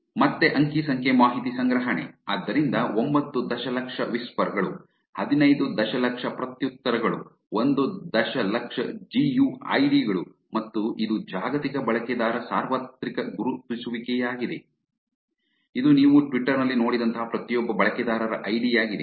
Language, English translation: Kannada, Data collection again, so 9 million whispers, 15 million replies 1 million GUIDs, which is global user universal identifier, which is the id for every user like you've seen in the twitter also